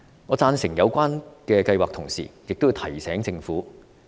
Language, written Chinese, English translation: Cantonese, 我贊成有關計劃，同時亦要提醒政府數點。, While agreeing with this plan I have to remind the Government of a few points